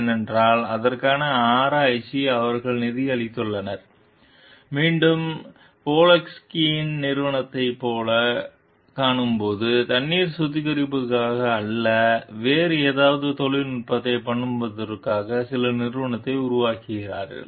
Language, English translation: Tamil, They because, they have funded the research for it; and again when we find like Polinski s company they have developed some company for use the technology, for not for water treatment, for something else